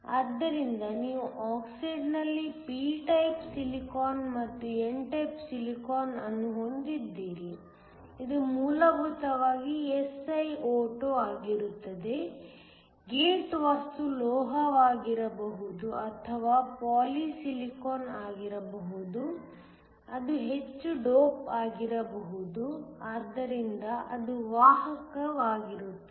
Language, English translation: Kannada, So, you have p type silicon and n type silicon in the oxide will essentially be SiO2, the gate material can either be a metal or it can be poly silicon, which is heavily doped, so, that it is conductive